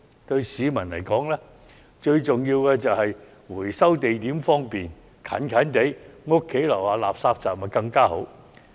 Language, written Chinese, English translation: Cantonese, 對市民來說，最重要的就是回收地點方便，垃圾站若設於住宅樓下便更好。, What matters most to the people is a convenient recycling location and even better would be a refuse collection point just downstairs from home